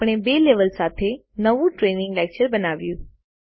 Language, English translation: Gujarati, We have created a new training lecture with two levels